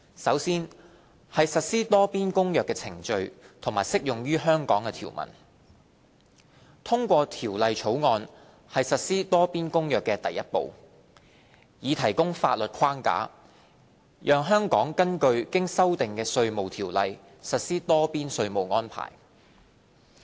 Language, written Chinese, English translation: Cantonese, 首先是實施《多邊公約》的程序及將適用於香港的條文。通過《條例草案》是實施《多邊公約》的第一步，以提供法律框架，讓香港根據經修訂的《稅務條例》實施多邊稅務安排。, Firstly regarding the procedures for giving effect to the Multilateral Convention and other agreements that apply to Hong Kong the first step is to pass the Bill to provide Hong Kong with a legal framework for giving effect to multilateral tax arrangements according to the amended IRO